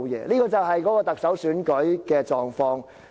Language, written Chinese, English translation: Cantonese, "這就是特首選舉的狀況。, This is what the Chief Executive Election is like